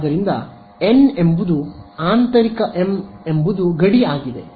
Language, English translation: Kannada, So, n is interior m is boundary